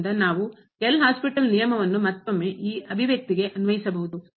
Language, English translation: Kannada, So, we can apply the L’Hospital’s rule once again to this expression